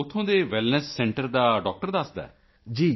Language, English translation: Punjabi, The doctor of the Wellness Center there conveys